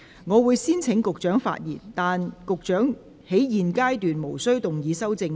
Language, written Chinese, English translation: Cantonese, 我會先請局長發言，但他在現階段無須動議修正案。, I will first call upon the Secretary to speak but he is not required to move his amendments at this stage